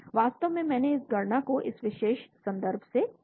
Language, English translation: Hindi, actually I took this calculation from this particular reference